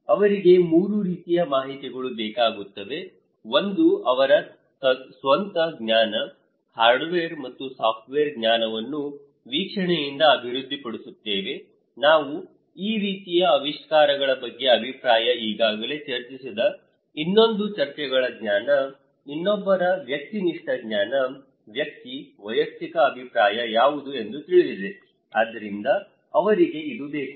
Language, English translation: Kannada, They need 3 kind of informations, one to develop their own knowledge, hardware and software knowledge from hearing and observation, another one is the discussions knowledge, someone's subjective knowledge that we already discussed that what one’s subjective opinion, personal opinion about this kind of innovations so, they also need this one